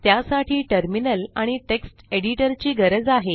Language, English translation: Marathi, For that you need a Terminal and you need a Text Editor